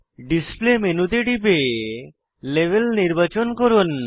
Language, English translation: Bengali, Click on the display menu, and select label